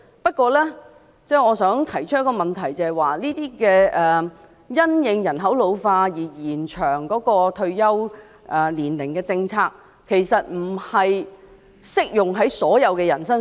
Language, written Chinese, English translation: Cantonese, 不過，我想提出的問題是，這些因應人口老化而延長退休年齡的政策，其實並不適用於所有人身上。, However I wish to point out that these policies of extending the retirement age in response to population ageing actually do not apply to everyone